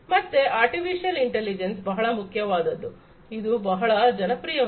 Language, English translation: Kannada, So, artificial intelligence is very important, it has become very popular